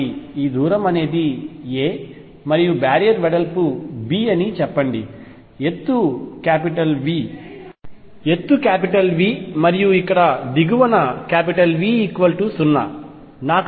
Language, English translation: Telugu, So, let us say this distance is a and the barrier is of width b, the height is V and here V equals 0 at the bottom